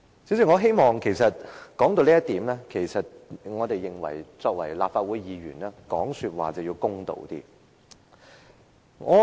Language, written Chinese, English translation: Cantonese, 主席，說到這一點，我認為我們作為立法會議員，說話要公道一些。, President at this point I think as Legislative Council Members we have to be fair when we speak